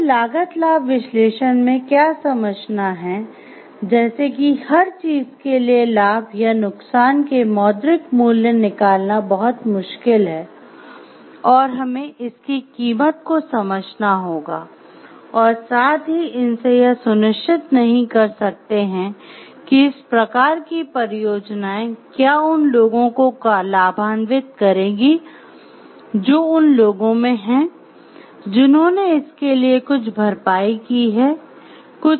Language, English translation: Hindi, So, what we have to understand in a cost benefit analysis like for everything benefits or every losses there, it is very difficult to put the monetary value to each of this and we have to understand the worth of it and also we cannot ensure from these type of projects like those will reap the benefits are in the people who are paying the cost for it also